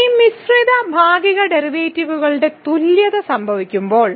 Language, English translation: Malayalam, So, when the equality of this mixed partial derivatives happen